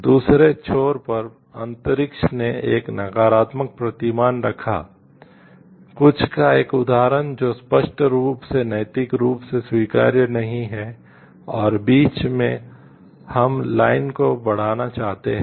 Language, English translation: Hindi, At the other end the space placed a negative paradigm, an example of something which is unambiguously morally not acceptable and in between we like trial going on increasing the line